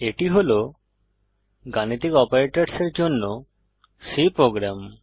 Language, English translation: Bengali, Here is the C program for arithmetic operators